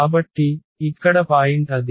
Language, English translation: Telugu, So, that is the point here